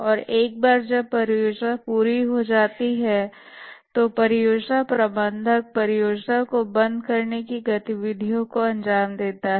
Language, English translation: Hindi, And once the project completes, the project manager carries out the project close out activities